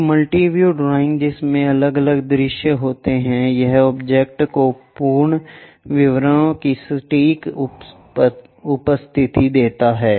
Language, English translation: Hindi, A multi view drawing having different views it accurately presence the object complete details